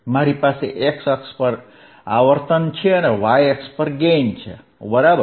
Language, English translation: Gujarati, I have the frequency on the y axis, sorry x axis and gain on the y axis, right